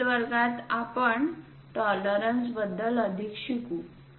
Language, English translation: Marathi, In the next class we will learn more about tolerances